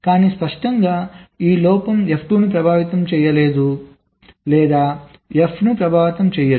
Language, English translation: Telugu, but clearly this fault will not affect f two or it will not effect f